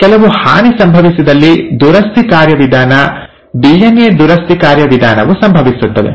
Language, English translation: Kannada, If at all some damage has happened, then the repair mechanism, the DNA repair mechanism happens